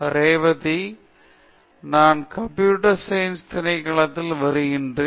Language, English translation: Tamil, Hi I am Revathi, I am from the Department of Computer Science